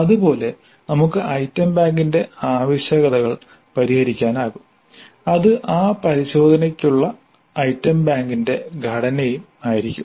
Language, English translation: Malayalam, Similarly we can work out the requirements of the item bank and that would be the structure of the item bank for the test